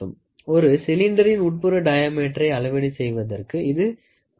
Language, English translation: Tamil, It is useful for measuring inside diameter of a cylinder